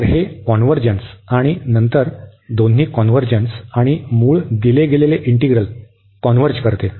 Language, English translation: Marathi, So, it convergence and then both the sum converges and the original the given integral converges